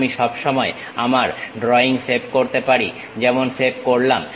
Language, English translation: Bengali, I can always save my drawing like Save